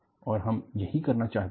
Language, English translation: Hindi, This is what, you want to do